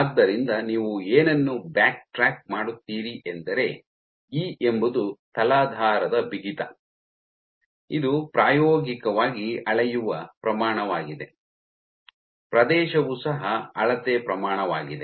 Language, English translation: Kannada, So, E is the substrate stiffness which is an experimentally measured quantity, area is also a measured quantity